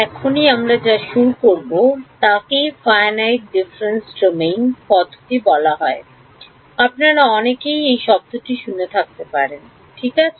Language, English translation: Bengali, What we will start now is what is called the Finite Difference Time Domain Method alright; many of you may have heard this word in the past right